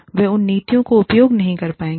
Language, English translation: Hindi, They will not be able to, use those policies